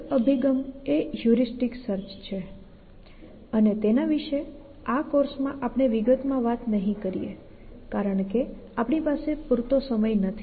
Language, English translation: Gujarati, One approach is heuristic search and that is something you will again not explore in this course